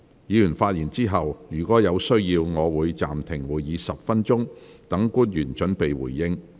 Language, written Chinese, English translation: Cantonese, 議員發言後，若有需要，我會暫停會議10分鐘，讓官員準備回應。, After Members have spoken if necessary I will suspend the meeting for 10 minutes for public officers to prepare their responses